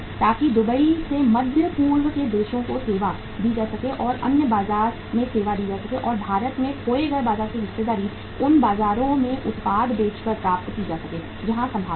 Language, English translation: Hindi, So that from Dubai the Middle East countries uh can be served or their market can be served and the lost market share in India can be regained by selling the product in those markets where there is a possibility